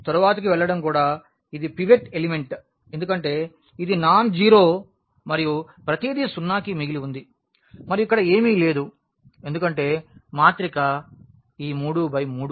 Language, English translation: Telugu, Going to the next this is also a pivot element because this is nonzero and everything left to zero and there is nothing here because the matrix was this 3 by 3